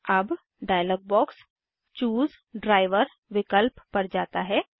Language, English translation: Hindi, Now, the dialog box switches to the Choose Driver option